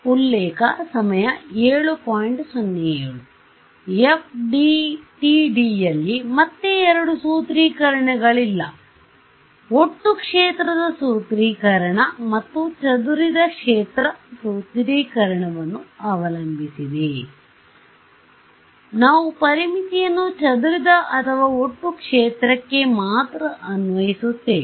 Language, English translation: Kannada, No in FDTD again there are two formulations, total field formulation and scattered field formulation and depending on the formulation, we will apply the boundary condition to only the scattered field or the total field